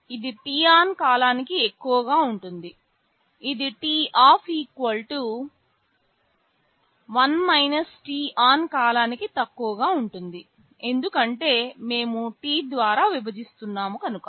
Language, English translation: Telugu, It is high for t on period of time, it will be low for t off = 1 – t on period of time, because we are dividing by T